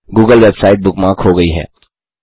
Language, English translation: Hindi, The google website is bookmarked